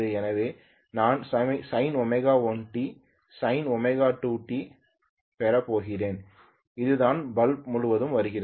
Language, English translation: Tamil, So I am going to have sine omega 1T minus sine omega 2T this is what is coming across the bulb right